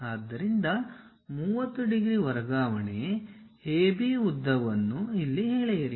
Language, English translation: Kannada, So, draw a line 30 degrees transfer AB length here